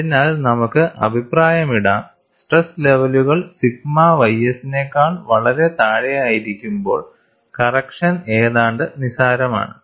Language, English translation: Malayalam, So, we can also comment, when the stress levels are far below the sigma ys, the correction is almost negligible